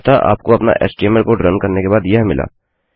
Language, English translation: Hindi, So you have got that after running our html code